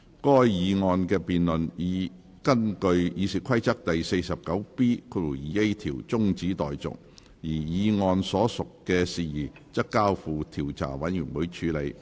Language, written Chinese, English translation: Cantonese, 該議案的辯論已根據《議事規則》第 49B 條中止待續，而議案所述的事宜則交付調查委員會處理。, The debate on the motion was adjourned and the matter stated in the motion was referred to an investigation committee in accordance with Rule 49B2A of the Rules of Procedure